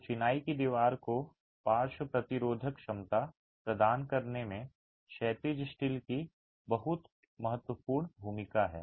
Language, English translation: Hindi, So, the horizontal steel has a very critical role to play in providing the lateral resisting capacity to the masonry wall